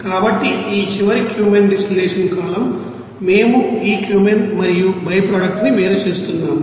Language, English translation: Telugu, So, this final Cumene distillation column we are getting separation of this you know Cumene and byproduct